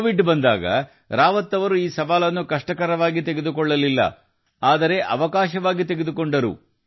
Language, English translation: Kannada, When Covid came, Rawat ji did not take this challenge as a difficulty; rather as an opportunity